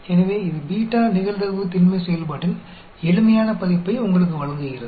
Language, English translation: Tamil, So, that gives you a simplified version of the beta probability density function